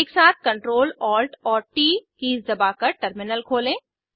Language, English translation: Hindi, Press CTRL, ATL and T keys simultaneously to open the Terminal